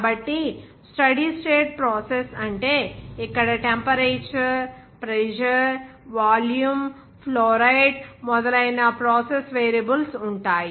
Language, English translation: Telugu, So, the steady state process means here process variables like temperature, pressure, even volume, even fluoride etc